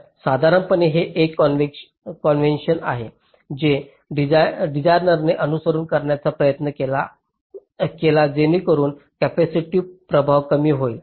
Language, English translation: Marathi, this is a convention which the designer tries to follow so that the capacitive effect is minimized